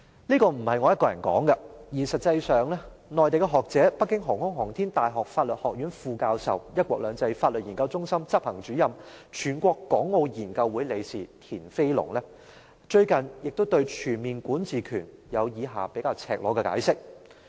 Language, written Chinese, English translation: Cantonese, 這不是我一個人說的，實際上，內地學者北京航空航天大學法學院副教授、"一國兩制"法律研究中心執行主任、全國港澳研究會理事田飛龍，最近亦對全面管治權有以下比較赤裸的解釋。, I am not the only one giving this comment . In fact Mr TIAN Feilong an academic in the Mainland who is also the Associate Professor at Beihang Universitys Law School in Beijing the Executive Director of the Law Schools One Country Two Systems Legal Studies Centre and also a director of the Chinese Association of Hong Kong and Macao Studies has a more explicit explanation on comprehensive jurisdiction recently